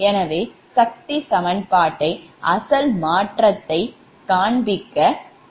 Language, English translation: Tamil, so we have to show that that is the power equation